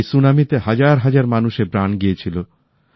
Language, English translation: Bengali, Thousands of people had lost their lives to this tsunami